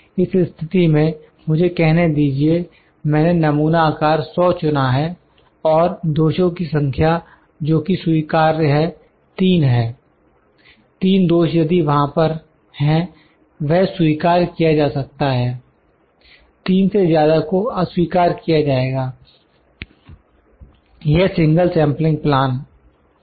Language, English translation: Hindi, In this case let me let me say I selected sample size as 10 and the number of defects those are accepted are 3, if out of, I will 10 is a very small number I will just put 100, 100, out of 100, 3 defects there if those are there it would be accepted, more than 3 would be rejected, this single sampling plan